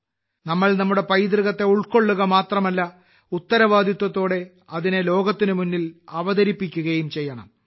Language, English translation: Malayalam, Let us not only embrace our heritage, but also present it responsibly to the world